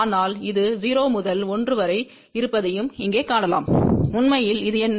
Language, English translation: Tamil, But you can also see here this is from 0 to 1, what actually this is